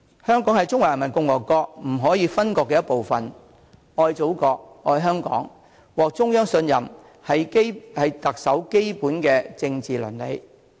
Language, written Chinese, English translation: Cantonese, 香港是中華人民共和國不可分割的一部分，愛祖國、愛香港、獲得中央信任，是特首的基本政治倫理。, Since Hong Kong is an inalienable part of the Peoples Republic of China basic political ethics must require the Chief Executive to love the Motherland and Hong Kong and to command the Central Authorities trust